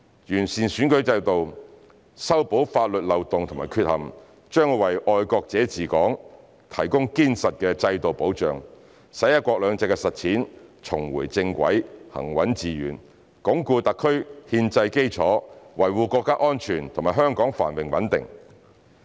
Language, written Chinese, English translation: Cantonese, 完善選舉制度、修補法律漏洞及缺陷，將為"愛國者治港"提供堅實的制度保障，使"一國兩制"的實踐重回正軌、行穩致遠，鞏固特區憲制基礎，維護國家安全和香港繁榮穩定。, Improving the electoral system and plugging legal loopholes and rectifying deficiencies will provide a solid institutional guarantee for patriots administering Hong Kong so that the implementation of one country two systems will get back on track and be sound and sustained; the constitutional foundation of the SAR will be consolidated and national security and the prosperity and stability of Hong Kong will be safeguarded